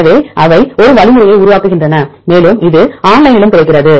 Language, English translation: Tamil, So, they develop an algorithm and it is also available online